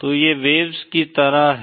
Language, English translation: Hindi, So these are like waves